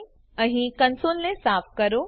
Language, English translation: Gujarati, Clear the console here